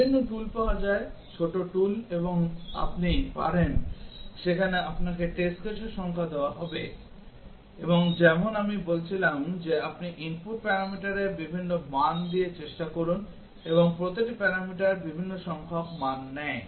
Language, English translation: Bengali, There are several tools available, small tools and you can there will give you the number of test cases and as I was saying that you try with different values of input parameter and each parameter takes different number of values